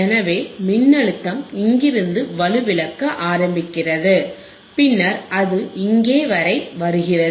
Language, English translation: Tamil, So, voltage starts attenuating where from here actually right and then it comes down here